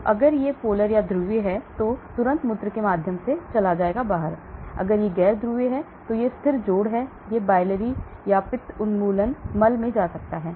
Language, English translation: Hindi, So if it is polar, immediately it goes through the renal urine, if it is non polar these are stable adducts it may go into the biliary elimination stools